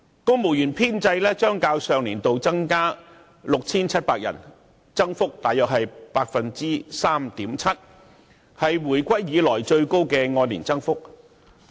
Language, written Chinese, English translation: Cantonese, 公務員編制將......較上年度增加 6,700 個，增幅約為 3.7%， 是回歸以來最高的按年增幅。, [T]he civil service establishment is expected to expand by 6 700 posts This represents a year - on - year increase of about 3.7 % the highest since reunification